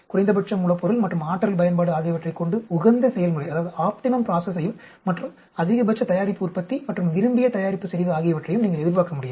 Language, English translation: Tamil, You cannot expect to have an optimum process with the minimum raw material and energy usage and maximum product yield and desired product concentration